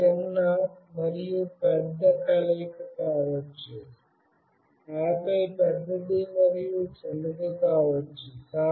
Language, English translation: Telugu, It could be combination small and big, and then big and small